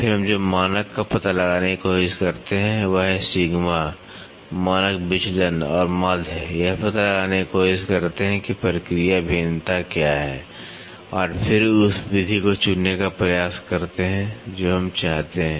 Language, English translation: Hindi, Then, what we do we try to find out the standard is sigma, standard deviation and the mean try to figure out what is the process variation and then try to choose the method what we want